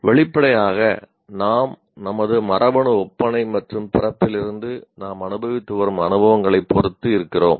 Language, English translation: Tamil, Obviously, we are what we are depending on our genetic makeup as well as the experiences that we have been going through since our birth